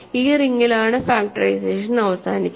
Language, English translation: Malayalam, So, it is in this ring factorization terminates